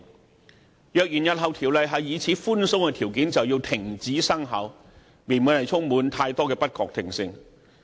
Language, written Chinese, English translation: Cantonese, 如果《條例草案》日後受到如此寬鬆的條件掣肘，動輒停止生效，未免充滿太多不確定性。, There would be too much uncertainties if the Bill was to be constrained by such easily - triggered conditions in the future and faced the threat of cessation at the slightest pretext